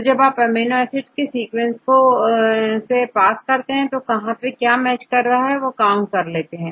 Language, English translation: Hindi, So, when you pass all the amino acid residues in the sequence, so where you have match then you can count